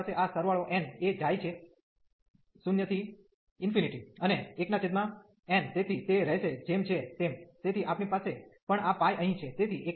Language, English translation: Gujarati, So, we have this summation n goes 0 to infinity and 1 over n so will remain as it is so we have also this pi here